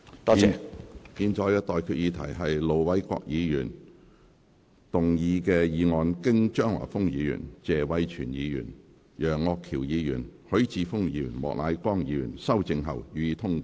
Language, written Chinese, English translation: Cantonese, 我現在向各位提出的待決議題是：盧偉國議員動議的議案，經張華峰議員、謝偉銓議員、楊岳橋議員、葛珮帆議員及莫乃光議員修正後，予以通過。, I now put the question to you and that is That the motion move by Ir Dr LO Wai - kwok as amended by Mr Christopher CHEUNG Mr Tony TSE Mr Alvin YEUNG Dr Elizabeth QUAT and Mr Charles Peter MOK be passed